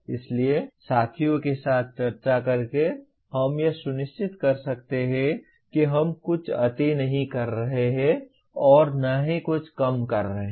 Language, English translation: Hindi, So by discussing with peers we can make sure that we are not overdoing something or underdoing something